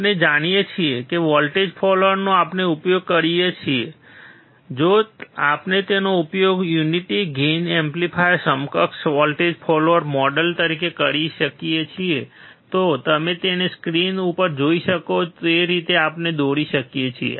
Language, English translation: Gujarati, We know that voltage follower we use, if we use it as a unity gain amplifier the equivalent voltage follower model, we can draw it as you can see on the screen